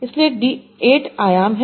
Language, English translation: Hindi, So there are D dimations